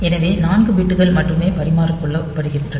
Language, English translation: Tamil, So, only 4 bits are exchanged